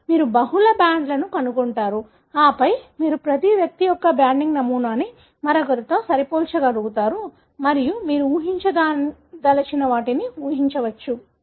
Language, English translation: Telugu, So, you will find multiple bands and then you will be able to match the banding pattern of every individual with the other and infer whatever you would like to infer